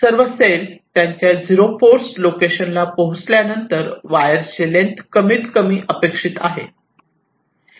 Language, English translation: Marathi, so when all the cells move to move to their zero force locations, the total wire length is expected to be minimized